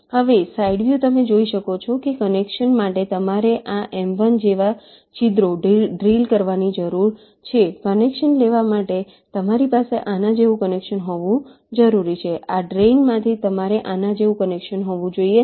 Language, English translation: Gujarati, now, side view, you can see that for connection you need to drill holes like this m one to take connection, you have to have a connection like this from this drain